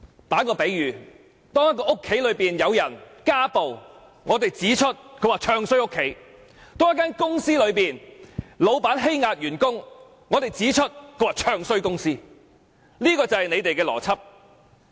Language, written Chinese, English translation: Cantonese, 舉例來說，有人說家裏發生家暴事件，他們便說他"唱衰"自己的家；又有人說公司老闆欺壓員工，他們便說他"唱衰"公司，這是他們的邏輯。, For example when someone talk about domestic violence in his family they would say he is bad - mouthing his family; when someone complains about his boss oppressing employees they would say that he is bad - mouthing the company . This is their logic